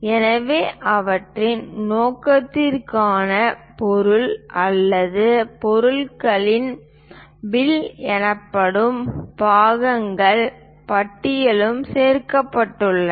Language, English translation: Tamil, So, for their purpose material or parts list which is called bill of materials are also included